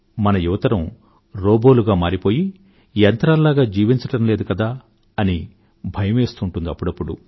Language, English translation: Telugu, Sometimes you feel scared that our youth have become robot like, living life like a machine